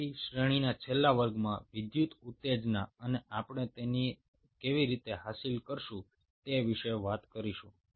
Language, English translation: Gujarati, so in the last ah class in the series will talk the electrical excitability and how we achieve it